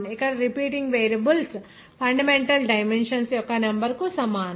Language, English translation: Telugu, of repeating variables is equal to the number of fundamental dimensions